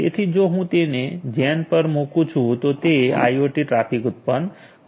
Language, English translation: Gujarati, So, if I place on gen then it is going to generate the IoT traffics ok